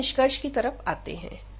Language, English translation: Hindi, So, coming to the conclusion